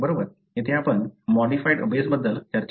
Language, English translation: Marathi, So, here we are going to discuss about the modified bases